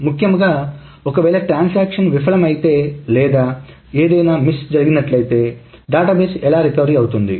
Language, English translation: Telugu, So essentially if a transaction fails or something amiss happens, how does the database recover